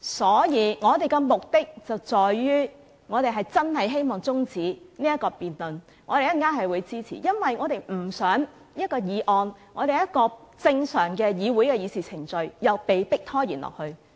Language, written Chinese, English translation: Cantonese, 所以，我們的目的，在於我們是真的希望中止這項辯論，稍後我們會投票支持這項中止待續議案，因為我們不想一項議案......正常的議會程序被迫拖延下去。, As regards our purpose we genuinely wish to adjourn the debate . We will vote in favour of this adjournment motion then as we would not like to have a motion I mean we would not like to see them keep on impeding the normal proceedings in this Council